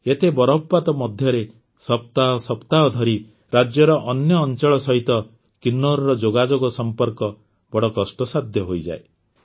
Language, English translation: Odia, With this much snowfall, Kinnaur's connectivity with the rest of the state becomes very difficult for weeks